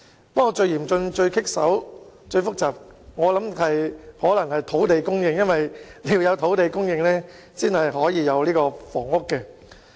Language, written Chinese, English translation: Cantonese, 不過，我卻認為最嚴峻、最棘手和最複雜的是土地供應，因為要有土地供應，才能夠興建房屋。, However I believe land supply is instead the most challenging formidable and complex issue as we need land for housing construction